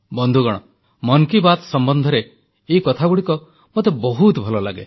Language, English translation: Odia, Friends, this is something I really like about the "Man Ki Baat" programme